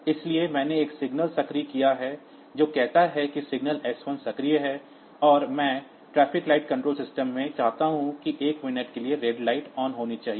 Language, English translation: Hindi, So, I have activated a signal says signal s 1 is activated and I want that for example, in a traffic light controller system we want that red light should be on for say 1 minute